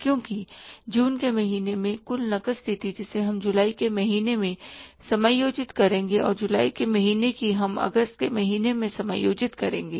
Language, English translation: Hindi, Which will finally go to the balance sheet because the total cash position in the month of June that we will adjust in the month of July and in the month of July that will adjust in the month of August